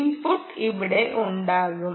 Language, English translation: Malayalam, input will be here